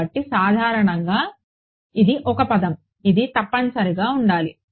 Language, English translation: Telugu, So, typically this is a term which is known it has to be